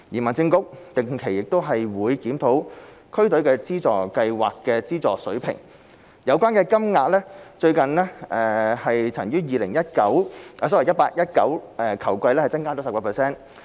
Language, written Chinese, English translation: Cantonese, 民政局定期檢討區隊資助計劃的資助水平，有關金額最近曾於 2018-2019 球季增加 10%。, The Home Affairs Bureau regularly reviews the funding levels of DFFS . Since the 2018 - 2019 football season the funding levels have been increased by 10 %